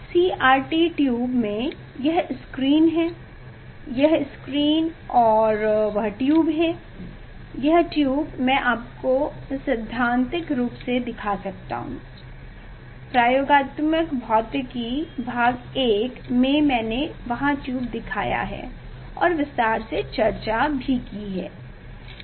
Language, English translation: Hindi, in CRT tube; this is the screen, this is the screen and that tube, this tube I can show you in principle, in experimental physics one, there I have shown the tube and discussed in detail